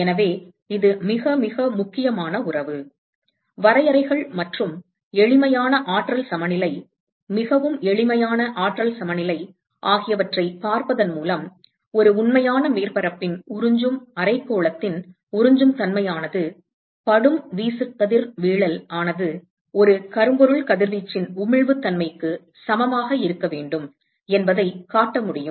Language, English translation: Tamil, So, it is a very, very important relationship; simply by looking at the definitions and a simple energy balance, very simple energy balance, we are able to show that the absorptivity hemispherical absorptivity of a real surface should be equal to its emissivity if the incident irradiation is that of a black body radiation